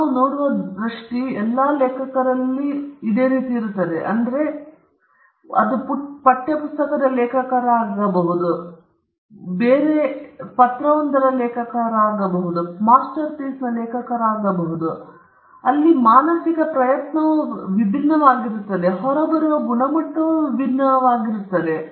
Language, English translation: Kannada, This sight that we see could be the same of all the authors, regardless of who it is; it could be an author of a text book, it could be an author of a letter being sent to someone else, it could be an author of a master piece, but the mental effort differs from all these is different and it differs, and the quality that comes out will also differ